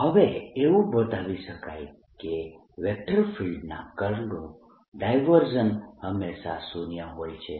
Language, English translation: Gujarati, no one can show that divergence of curl of a vector is always zero